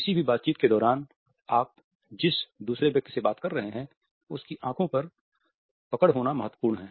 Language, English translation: Hindi, During any interaction it is important to hold the eyes of the other person you are talking to